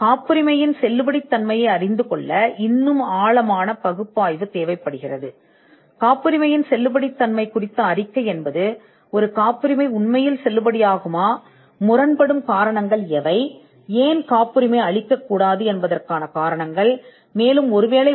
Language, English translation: Tamil, The validity of a patent requires a much more in depth analysis, and the validity report will actually give make a statement on whether the patent is valid, what are the conflicting reasons, or the give that give out the reasons why the patent should not be granted, or why it can be invalidated, in case of a granted patent